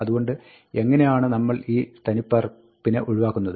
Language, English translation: Malayalam, So, how do we eliminate this duplicate